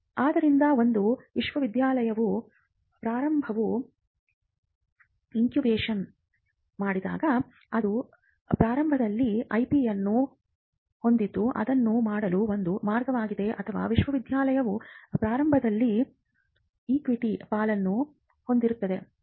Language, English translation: Kannada, So, when a university incubates a startup, it owns the IP in the startup that is one way to do it or the university will own equity stakes in the startup